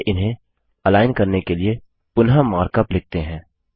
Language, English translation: Hindi, Let us rewrite the mark up to align them